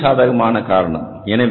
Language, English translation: Tamil, That's again a very positive factor